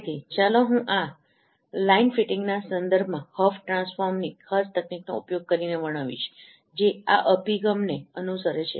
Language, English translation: Gujarati, So let me describe this particular technique with respect to line fitting using HOP transform which follows this approach